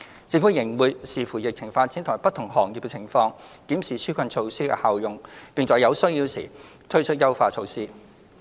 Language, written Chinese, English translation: Cantonese, 政府仍會視乎疫情發展及不同行業的情況，檢視紓困措施的效用，並在有需要時推出優化措施。, The Government will having regard to the development of the epidemic and the situation of different sectors review the effectiveness of the relief measures and introduce enhancements if needed